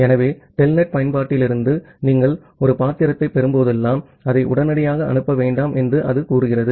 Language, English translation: Tamil, So, it says that well whenever you are getting a character from the telnet application, you do not send it immediately